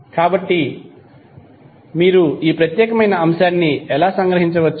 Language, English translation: Telugu, So how you can summarize this particular aspect